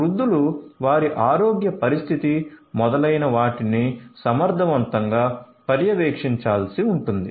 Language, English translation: Telugu, Elderly people monitoring their health condition etcetera efficiently will have to be done